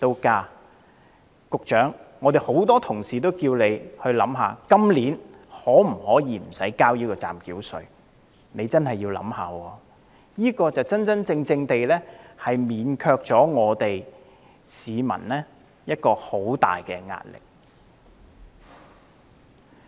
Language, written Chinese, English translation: Cantonese, 局長，很多同事均要求你考慮今年豁免繳交暫繳稅，你必須認真考慮，因為此舉能真正免卻市民的沉重壓力。, Secretary many fellow colleagues have asked you to consider waiving the payment of provisional tax for the current year and this is a measure you must seriously consider because it can genuinely alleviate the heavy pressure on the people